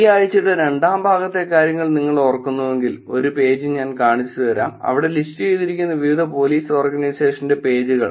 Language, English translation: Malayalam, If you remember in the second part of this week I actually showed you a page where we were collecting, where they were pages of different Police Organization that was listed